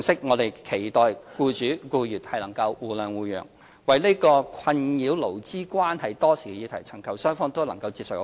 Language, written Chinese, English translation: Cantonese, 我們期待僱主和僱員能互諒互讓，為這個困擾勞資關係多時的議題尋求雙方均能接受的方案。, We wish that both sides are willing to give and take thereby concluding a mutually acceptable proposal relating to this issue which have perplexed both sides for long